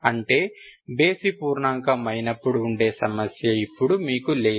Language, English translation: Telugu, That means you don't have problem when it is odd integer